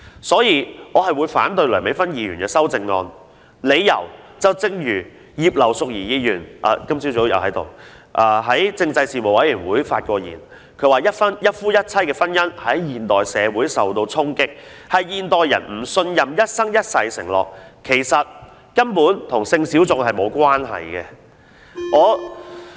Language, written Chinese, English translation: Cantonese, 所以，我會反對梁美芬議員的修正案，理由一如今早在席的葉劉淑儀議員在政制事務委員會會議上發言時所指出，一夫一妻的婚姻在現代社會受衝擊，是由於現代人不信任一生一世的承諾，根本與性小眾無關。, That is why I oppose Dr Priscilla LEUNGs amendment . The reason as also pointed out at a meeting of the Panel on Constitutional Affairs by Mrs Regina IP who was present here this morning is that the impact sustained by one - man - one - woman marriage in modern society is actually caused by modern peoples distrust of any life - long commitment having nothing to do with sexual minorities